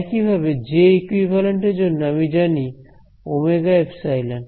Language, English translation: Bengali, Similarly for j equivalent I know omega epsilon